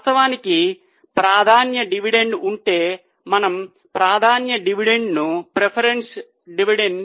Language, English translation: Telugu, In fact if there is a preference dividend, we will deduct preference dividend also